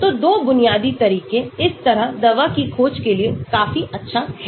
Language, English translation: Hindi, So, 2 basic methods like this generally for drug discovery, this is good enough